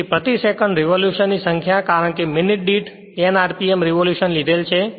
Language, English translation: Gujarati, So, number of revolutions per second because we have taken speed rpm revolution per minute